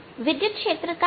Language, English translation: Hindi, how about the electric field